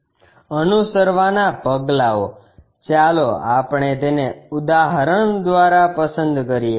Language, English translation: Gujarati, Steps to be followed, let us pick it through an example